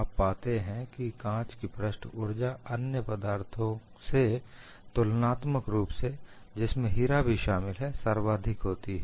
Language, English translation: Hindi, So, he worked on glass and he find glass has the highest surface energy compared to other materials excluding diamond